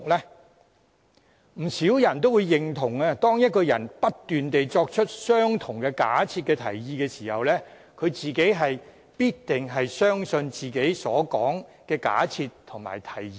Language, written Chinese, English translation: Cantonese, 相信不少人也會認同，當一個人不斷作出相同的假設和提議時，他本人必定也相信自己所提出的假設和提議。, I believe many people will agree that when someone constantly makes the same assumption and proposal he must approve of his own assumption and proposal